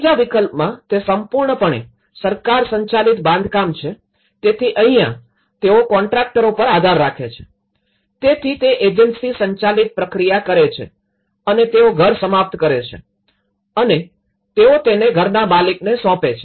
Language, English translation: Gujarati, Whereas in option 3, it is completely a government managed construction so, in this, they rely on the contractor, so agency driven process and they finish the house and they deliver it to the homeowner so, this is how the self house mechanism has been conceptualized